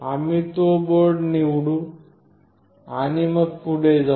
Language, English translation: Marathi, We select that board and then we move on